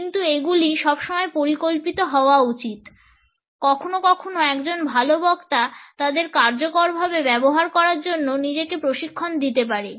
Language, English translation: Bengali, But these should always be plant sometimes a good speaker can also train oneself to use them effectively